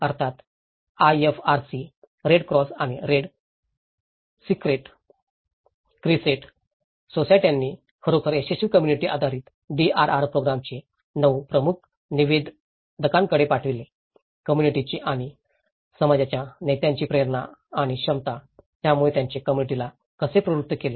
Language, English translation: Marathi, Of course, the IFRC; the Red Cross and Red Crescent Societies have actually looked at the 9 key determinants of a successful community based DRR program; the motivation and capacity of the community and community leaders so, how it has motivated the community